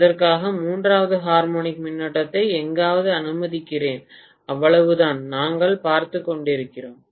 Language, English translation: Tamil, For that let me allow the third harmonic current somewhere, that is all we are looking at